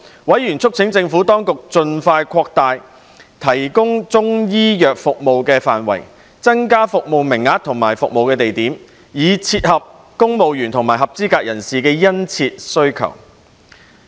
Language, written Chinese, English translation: Cantonese, 委員促請政府當局盡快擴大提供中醫藥服務的範圍，增加服務名額和服務地點，以切合公務員及合資格人士的殷切需求。, Panel members called on the Administration to expeditiously expand the scope of the Chinese medicine service by increasing the service quota and service points so as to meet the pressing service demand of CSEPs